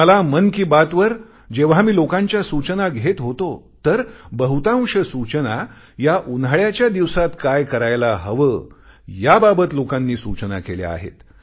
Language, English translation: Marathi, So, when I was taking suggestions for 'Mann Ki Baat', most of the suggestions offered related to what should be done to beat the heat during summer time